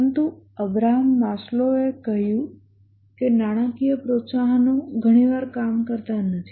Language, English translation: Gujarati, But Abraham Maslow, he said that financial incentives often do not work